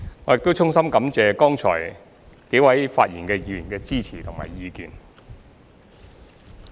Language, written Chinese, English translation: Cantonese, 我亦衷心感謝剛才幾位發言議員的支持及意見。, I am also grateful to the Members who have just spoken for their support and views